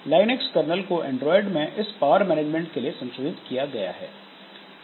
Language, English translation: Hindi, So, Linux kernel has been modified in Android to take care of this power management